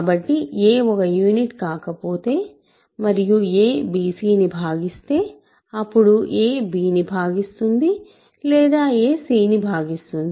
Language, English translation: Telugu, So, if a is not a unit and if a divides a product bc then a divides b or a divides c, right